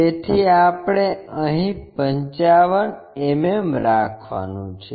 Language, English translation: Gujarati, So, 55 mm we have to locate 55 mm here